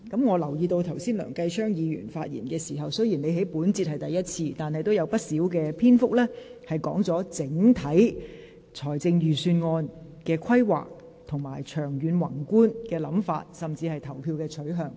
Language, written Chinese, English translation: Cantonese, 我留意到剛才梁繼昌議員的發言，雖然他在本環節中是第一次發言，但仍有不少篇幅論及財政預算的整體規劃和長遠宏觀的想法，甚至是投票的取向。, I note that in the speech of Mr Kenneth LEUNG delivered just now although this is his first speech he has discussed at length the overall planning long - term and macroscopic concepts of the budget or even his position in casting the votes